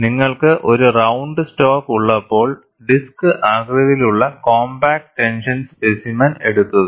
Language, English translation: Malayalam, When you have a round stock, go for a disc shaped compact tension specimen